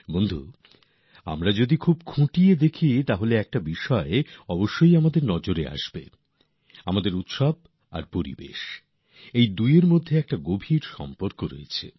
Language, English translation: Bengali, Friends, if we observe very minutely, one thing will certainly draw our attention our festivals and the environment